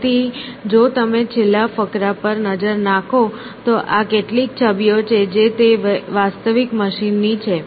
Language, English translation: Gujarati, So, if you look at the last paragraph, so these are some of the images which are of those real machines